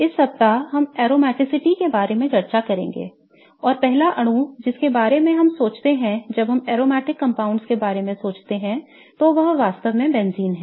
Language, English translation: Hindi, This week we will be discussing aromaticity and the first molecule that we think of when we think of aromatic compounds is really benzene